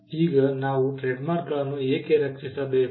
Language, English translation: Kannada, Now, why should we protect trademarks